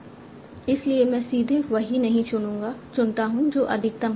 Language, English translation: Hindi, So I do not directly choose the one that is having the maximum